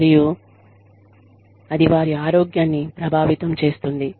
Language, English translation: Telugu, And, that in turn, affects their health